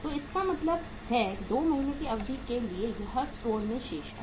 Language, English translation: Hindi, So it means for a period of 2 months it is remaining in the store